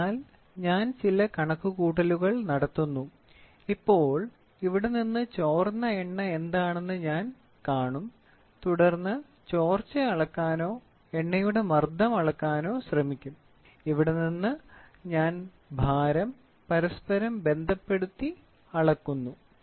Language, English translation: Malayalam, So, I do some calculations and from here now, I will see what is the oil which has got leaked and then try to measure the leak or measure the pressure of the oil and from here I cross correlate to measure the weight